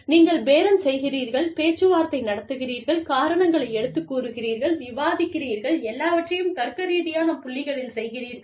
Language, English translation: Tamil, You bargain, you negotiate, you argue, you discuss, only on logical points